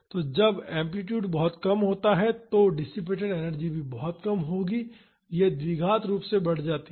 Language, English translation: Hindi, So, when the amplitude is very low the dissipated energy will also be very low, this increases quadratically